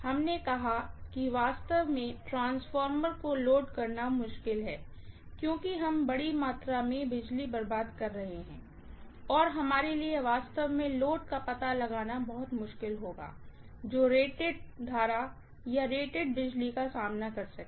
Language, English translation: Hindi, We said that actually loading the transformer is going to be difficult because we would end up wasting a huge amount of power and it will be very very difficult for us to actually find the load which can withstand the rated current or rated power